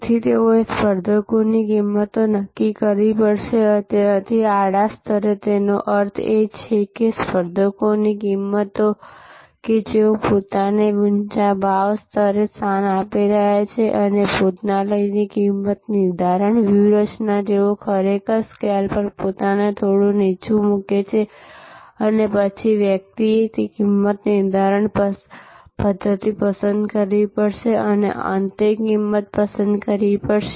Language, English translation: Gujarati, So, they have to therefore determine the pricing of competitor, so at the horizontal level; that means they appears, pricing of competitors who are positioning themselves at a higher price level and pricing strategy of restaurants, who are actually positioning themselves a little down on the scale and then, one has to select a pricing method and selected final price